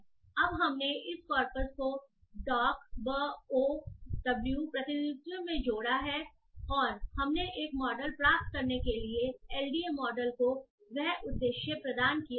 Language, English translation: Hindi, So now we have added this corpus into a doctor bow representation and we have provided that this corpus to the LDA model to get a model